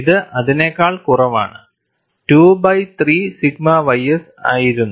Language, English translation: Malayalam, It was 2 by 3 sigma y s, less than that